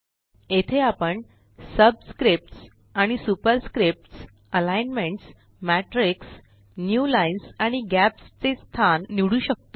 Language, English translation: Marathi, Here, we can choose placements of subscripts and superscripts, alignments, matrix, new lines and gaps